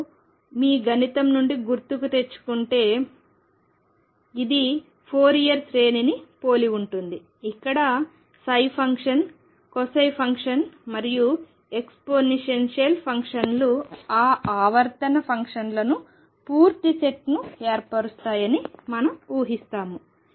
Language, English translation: Telugu, And if you recall from your mathematics this is similar to a Fourier series, where we assume and may be you heard this term earlier that the sin function cosine function and exponential function they form a complete set for those periodic functions